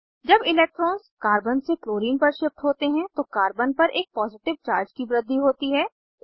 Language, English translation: Hindi, When electrons shift from Carbon to Chlorine, Carbon gains a positive charge